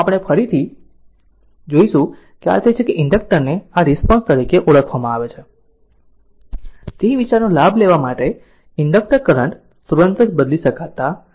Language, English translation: Gujarati, So, we will see later so but this is that inductor current your what you call as the response in order to take advantage of the idea that, the inductor current cannot change instantaneously right